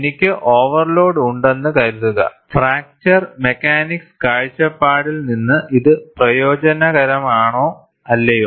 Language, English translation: Malayalam, Suppose, I have an overload, is it beneficial from fracture mechanics from point of view or not